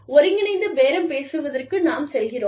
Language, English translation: Tamil, Then, we go in for integrative bargaining